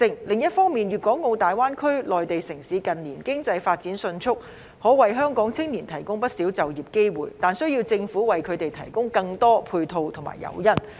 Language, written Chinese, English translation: Cantonese, 另一方面，粵港澳大灣區內地城市近年經濟發展迅速，可為香港青年提供不少就業機會，但需要政府為他們提供更多配套和誘因。, On the other hand the rapid economic development of the Mainland cities in the Guangdong - Hong Kong - Macao Greater Bay Area in recent years can provide quite a number of employment opportunities for the youth of Hong Kong but this requires the Governments provision of more support measures and incentives for them